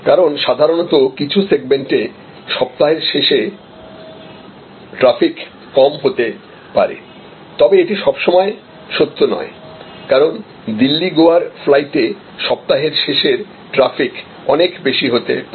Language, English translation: Bengali, Because, normally in certain segments the weekend traffic may be lower, but as you see it is not always true the week end traffic may be much higher on a Delhi, Goa flight